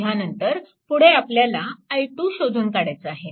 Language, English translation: Marathi, So, first you have to find out what is i 1